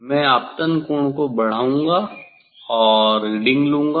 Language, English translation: Hindi, I will increase the incident angle and take the reading